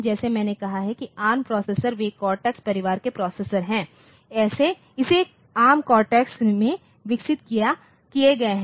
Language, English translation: Hindi, Like as I said that now ARM processors; so, they have been developed into the cortex family of processors and this ARM cortex